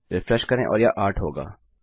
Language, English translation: Hindi, Refresh and that will be 8